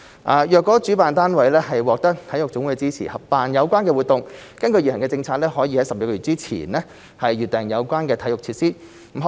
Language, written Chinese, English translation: Cantonese, 倘若主辦單位獲得體育總會的支持合辦有關活動，根據現行的政策，可於12個月前預訂有關的體育設施。, If the organizer secures the support of NSAs in co - organizing the relevant activities it may reserve related sports facilities up to 12 months in advance under the current policy